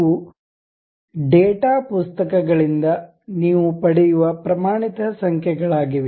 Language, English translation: Kannada, These are the standard numbers what you will get from data books